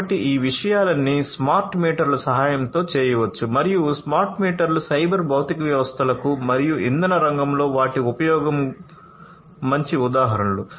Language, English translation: Telugu, So, all of these things can be performed with the help of smart meters and smart meters are good examples of cyber physical systems and their use in the energy sector